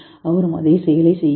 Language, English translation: Tamil, He also does the same action